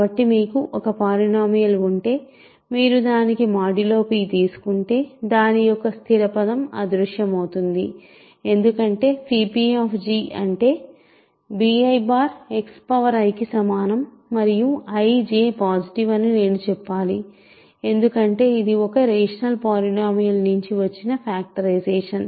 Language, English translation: Telugu, So, you have two polynomial you have a polynomial g when you go modulo p the constant term disappears, right because phi p g is equal to b i X i and also I should say I is positive j is positive because this is a factorization that comes from the rational polynomials